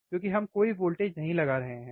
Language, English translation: Hindi, , bBecause we are not applying any voltage,